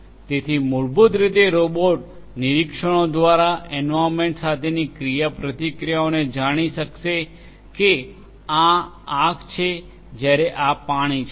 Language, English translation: Gujarati, So, basically the robot can through observations interactions with the environment robot will know that this is fire whereas; this is water